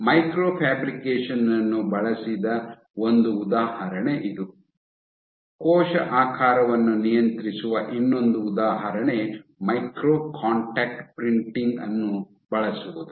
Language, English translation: Kannada, So, this is one example where microfabrication has been used, the other example of controlling cell shape is using micro contact printing